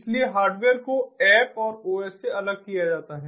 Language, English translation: Hindi, so hardware is separated out from the app and the os